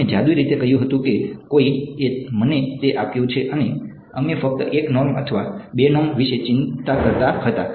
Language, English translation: Gujarati, We had said magically someone has given it to me and we were only worrying about 1 norm or 2 norm